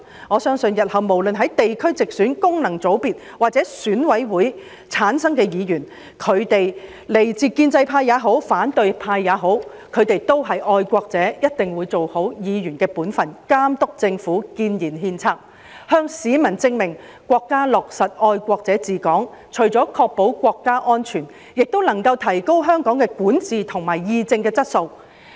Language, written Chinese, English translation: Cantonese, 我相信日後無論是經地區直選、功能界別或選委會界別產生的議員，來自建制派或反對派也好，他們也是愛國者，一定會做好議員的本份，監督政府，建言獻策，向市民證明國家落實"愛國者治港"，除了確保國家安全，亦能夠提高香港的管治和議政質素。, I trust that future Members be they returned by geographical constituencies through direct elections functional constituencies or ECC or be they members from the pro - establishment camp or the opposition are patriots . They will definitely perform the duties of Members responsibly in monitoring the Government giving advice and putting forth proposals to prove to the public that the implementation of patriots administering Hong Kong by the State will not merely ensure national security but will also enhance the quality of governance and policy discussion